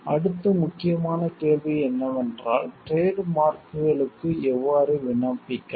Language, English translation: Tamil, Next important question is how can we apply for a trademark